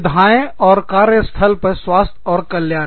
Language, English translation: Hindi, Amenities and workplace health & well being